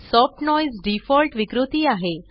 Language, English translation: Marathi, Soft noise is the default distortion